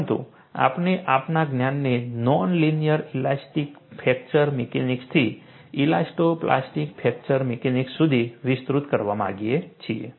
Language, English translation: Gujarati, But we want to extend our knowledge, from non linear elastic fracture mechanics to elasto plastic fracture mechanics